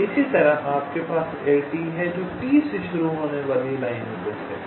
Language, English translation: Hindi, similarly, you have l t, which is the set of lines starting from t